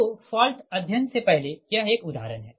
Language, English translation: Hindi, so this is one example before fault study for this one